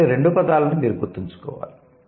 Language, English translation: Telugu, So, these two words you need to keep in mind